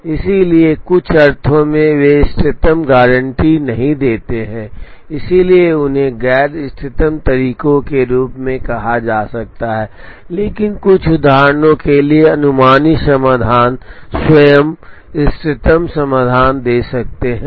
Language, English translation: Hindi, So, in some sense they do not guaranty optimum, so they can be termed as non optimal methods, but for certain instances the heuristic solutions can give the optimum solutions themselves